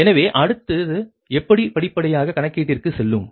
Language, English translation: Tamil, so next is that how will go for step by step calculation